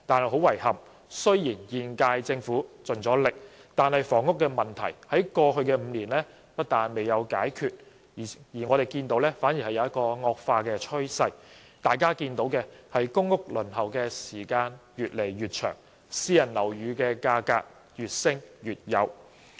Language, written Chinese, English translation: Cantonese, 很遺憾，雖然現屆政府已盡力，但房屋問題在過去5年不但未有解決，反而有惡化的趨勢。大家看到公屋輪候時間越來越長，而私人樓宇價格則越升越高。, Unfortunately though the current Government has tried its best the housing problem not only remained unresolved in the past five years it has conversely aggravated as reflected in the longer waiting time for public housing allocation and the ever - increasing prices of private buildings